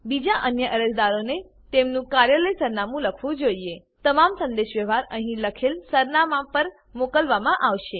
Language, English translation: Gujarati, Other applicants should write their Office address All communication will be sent to the address written here